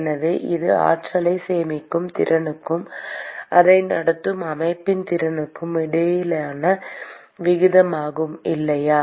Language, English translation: Tamil, So, this is the ratio between the ability of the system to conduct it versus it is ability to store the energy, right